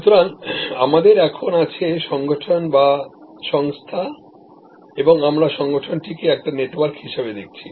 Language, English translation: Bengali, So, we have here the organization, the firm and we are now looking at the organization is a network